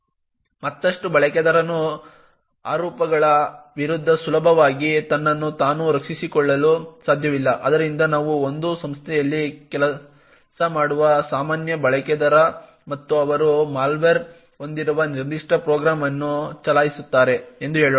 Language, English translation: Kannada, Further user cannot easily defend himself against allegations, so let us say for example that a normal user working in an organisation and he happens to run a particular program which has a malware